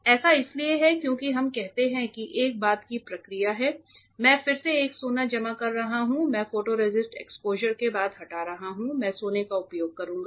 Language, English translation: Hindi, This is because let us say there is a subsequent process I am having a gold deposited again I am removing after the photoresist exposure I will use gold etchant